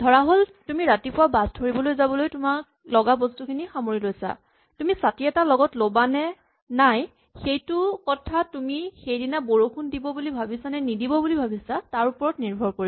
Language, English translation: Assamese, Supposing, you are packing your things to leave for the bus stop in the morning, or whether or not you take an umbrella with you will depend on whether you think it is going to rain that day